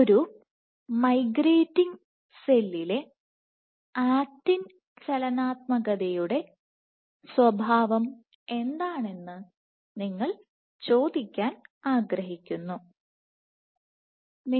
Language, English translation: Malayalam, You want to ask what is the nature of actin dynamics in a migrating cell